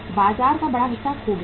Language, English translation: Hindi, Larger chunk of the market is lost